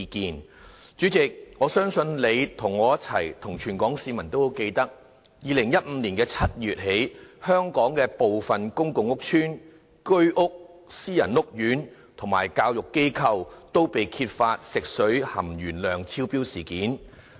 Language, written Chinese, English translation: Cantonese, 代理主席，我相信你、我和全港市民均記得，從2015年7月起，香港部分公共屋邨、居屋、私人屋苑和教育機構，均被揭發食水含鉛量超標的事件。, Deputy President I believe all Hong Kong people including you and me can recall the lead - in - water incident which excess lead content had successively been found in drinking water of some public and private housing estates Home Ownership Scheme HOS housing estates as well as educational institutions since July 2015 . The incident unsettled us and caused us panic